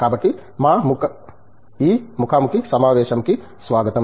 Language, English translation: Telugu, So, welcome to this interview